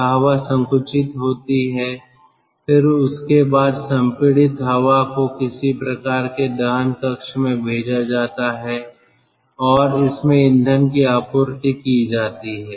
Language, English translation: Hindi, then, after that, the compressed air is sent to some sort of a combustion chamber and fuel is injected in this